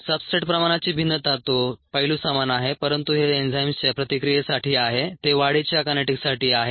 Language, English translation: Marathi, that aspect is the same, but this is for an enzyme reaction, that is, for growth kinetics